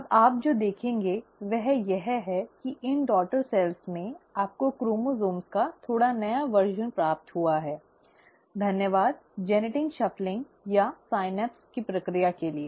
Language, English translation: Hindi, Now what you will notice is that in these daughter cells, you have received slightly newer version of the chromosomes, thanks to the process of genetic shuffling or the synapse